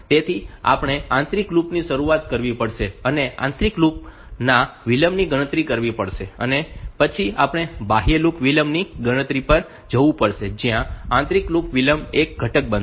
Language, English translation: Gujarati, So, we have to start with the inner loop, calculate the delay of the inner loop, and then we have to go to the outer loop delay calculation where this inner loop delay will become a component